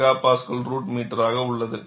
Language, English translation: Tamil, 75 MPa root meter per second